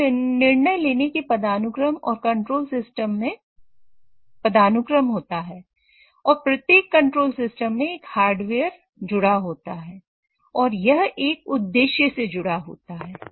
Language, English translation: Hindi, There is always a hierarchy of decision making and hierarchy of control systems and each control system has an associated hardware with it and an objective associated with it